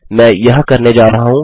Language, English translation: Hindi, I am going to do this